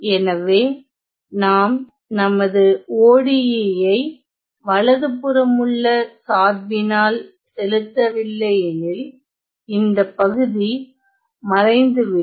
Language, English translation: Tamil, So, if we do not force our ODE on the right hand side then this part will vanish ok